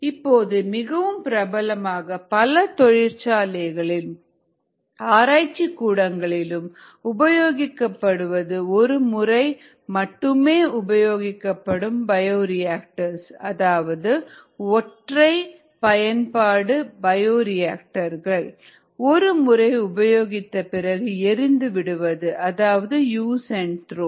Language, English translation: Tamil, what is become popular now a days in some industrial applications and also in some lab applications, more so in industrial applications, is the use of single use bioreactors: use it, throw out